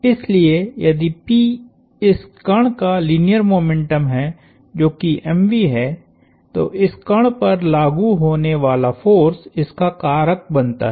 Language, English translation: Hindi, So, if P is the linear momentum of this particle which is m times v, the force acting on this particle causes